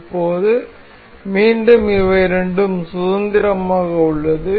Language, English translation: Tamil, Now at again both of these are free